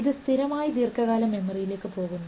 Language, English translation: Malayalam, That is the basis of short term memory